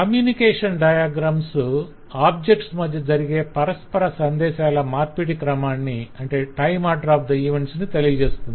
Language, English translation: Telugu, the communication diagram will tell us that what is the order in which objects exchange messages